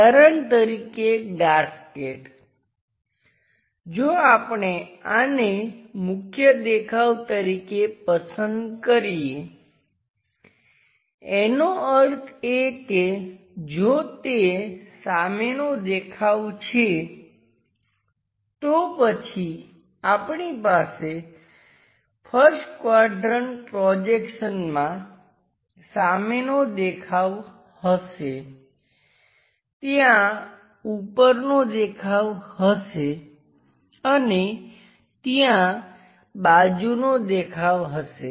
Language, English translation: Gujarati, Gasket for example, if we are picking this one as the main view, that means if that is the front view, then we will have in the first quadrant projection something like a front view, there will be a top view and there will be a side view